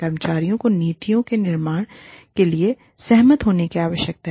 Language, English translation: Hindi, Employees need to agree, to the formulation of policies